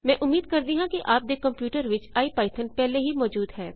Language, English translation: Punjabi, I hope you have, IPython running on your computer